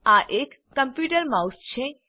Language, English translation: Gujarati, This is the computer mouse